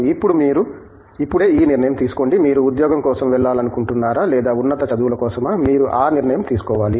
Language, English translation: Telugu, Now, so you take this decision that you are grappling with now, whether you want to go for a job or a higher studies, you take that decision